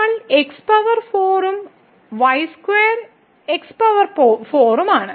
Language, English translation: Malayalam, So, we have power 4 and square is power 4